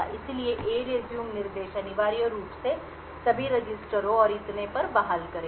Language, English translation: Hindi, So, the ERESUME instruction would essentially restore all the registers and so on